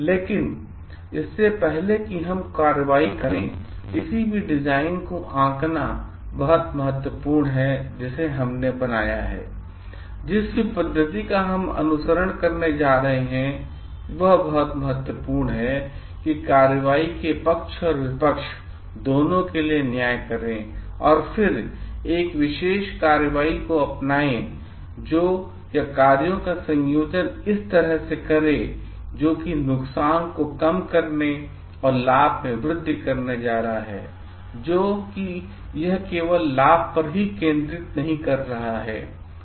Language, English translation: Hindi, But before we undertake any action, it is very very important to judge whatever design we have made, whatever methodology we are going to follow, it is very important to judge both for the pros and cons part of the action and then, adopt a particular action or combination of actions which are going to reduce the harm and increase on the benefit, so that it is not only focusing only on the benefit